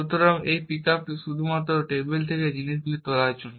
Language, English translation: Bengali, So, this pickup is only for picking up things from the table